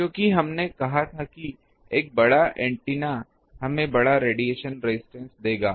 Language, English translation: Hindi, Because, we said that a larger antenna will give us larger radiation resistance